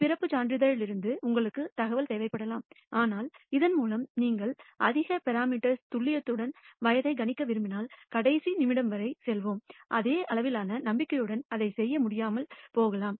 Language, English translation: Tamil, Maybe you might need the information from the birth certificate, but if you want to predict the age with higher degree of precision, let us say to the last minute, you may not be able to do it with the same level of con dence